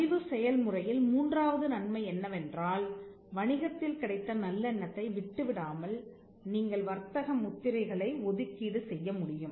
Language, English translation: Tamil, The third benefit that registration brought about was the fact that, you could assign trademarks without giving away the goodwill of the business